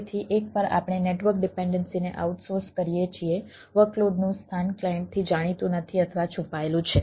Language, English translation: Gujarati, so once we outsource the network, dependency, workload location are not known or hidden from the clients